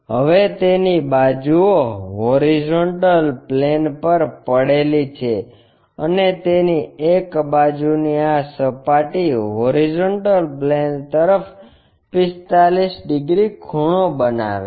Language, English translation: Gujarati, Now its sides are resting on HP and one of its sides with this surface 45 degrees inclined to HP